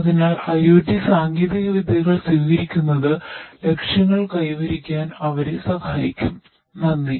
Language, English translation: Malayalam, So, adoption of IoT technologies will help them in order to achieve the goals, thank you